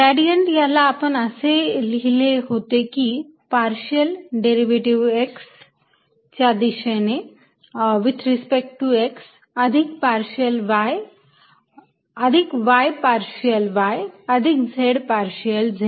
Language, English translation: Marathi, gradient we wrote as partial derivatives in the direction x with respect to x plus y, partial y plus z, partial z